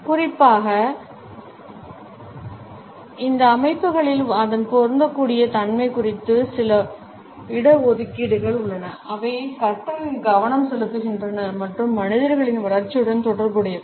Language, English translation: Tamil, There are certain reservations about its applicability particularly in those organisations, which are focused on learning and related with development of human beings